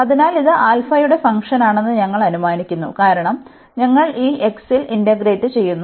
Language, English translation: Malayalam, So, this we assume that this is a function of alpha, because we are integrating over this x